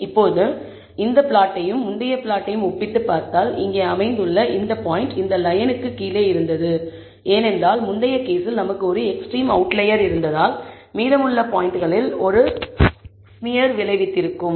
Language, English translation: Tamil, Now, we can see that, if you compare this plot and the earlier plot this point, which is located here was below this line and that is because we had an extreme outlier in the previous case, that had a smearing effect on the remaining points